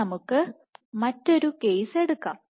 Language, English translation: Malayalam, Now, let us take another case